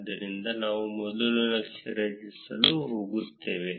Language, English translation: Kannada, So, we would first go to create chart